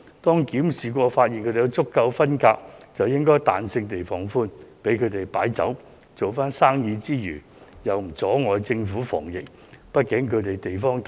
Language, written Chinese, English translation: Cantonese, 在檢視場所後，如發現有足夠分隔，便應該彈性地放寬，容許酒樓擺酒和做生意，因為這樣不會阻礙政府防疫工作。, If inspection of the premises shows sufficient distancing flexibility should be employed to ease the restrictions allowing Chinese restaurants to hold banquets and do business because this will not hinder the Governments efforts in epidemic prevention